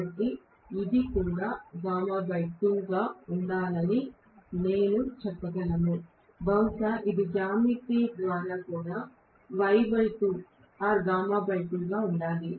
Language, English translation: Telugu, So, I should be able to say this should also be gamma by 2, this should also be gamma by 2 by geometry, right